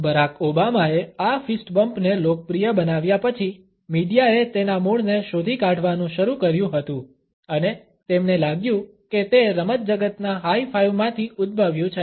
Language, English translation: Gujarati, After Barack Obama had popularized this fist bump media had started to trace it’s origins and he felt that it had originated from the high five of the sports world